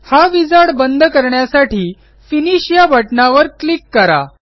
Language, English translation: Marathi, Click on the Finish button to close this wizard